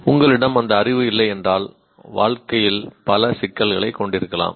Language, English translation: Tamil, If you do not have that knowledge, you can have many, many issues in life